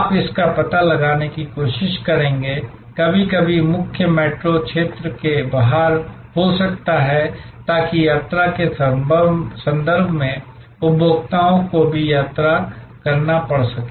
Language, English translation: Hindi, You will try to locate it, sometimes may be outside the main metro area, so that in terms of travelling, consumers may have to travel too